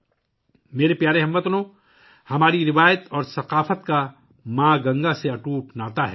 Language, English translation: Urdu, My dear countrymen, our tradition and culture have an unbreakable connection with Ma Ganga